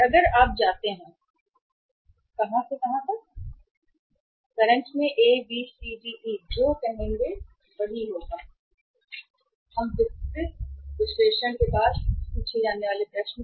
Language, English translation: Hindi, And if you go then from where, from current to where; A, B, C, D or E that will be the say the question to be answered after this detailed analysis